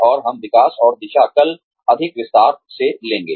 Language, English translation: Hindi, And, we will take up, development and direction, tomorrow, in greater detail